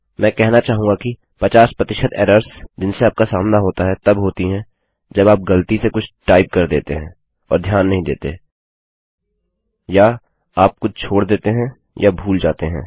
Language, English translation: Hindi, I would say a good 50% of errors that you encounter are when you either dont see something you have accidentally typed or you have missed out something